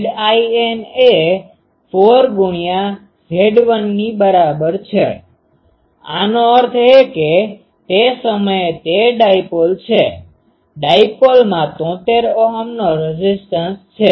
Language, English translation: Gujarati, 4 in to Z 1; that means, that time it is dipole, dipole has a impedance of or resistance of 73 Ohm